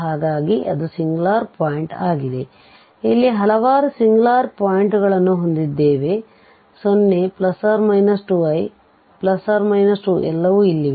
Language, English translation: Kannada, So that is also a singular point, so we have several singular points here 0 plus minus 2 i and plus minus 2 all are here